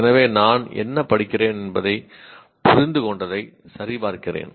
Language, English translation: Tamil, So I check that I understand what I am reading